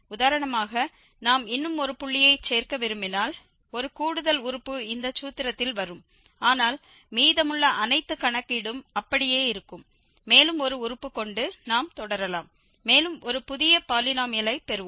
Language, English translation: Tamil, If we want to add one more point for instance, then one extra term will be coming in this formulation, but the rest all the calculation will remain as it is and we can continue just having one more term there and we will get a new polynomial